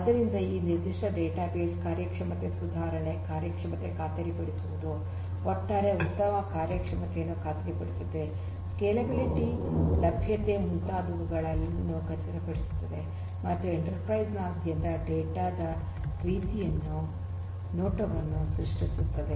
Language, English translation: Kannada, So, this particular database will ensure performance, improvement, performance ensuring performance overall good performance is ensured, scalability, availability and so on and creating a similar view of data across the enterprise